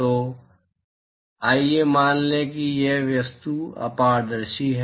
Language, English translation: Hindi, So, let us assume that these objects are opaque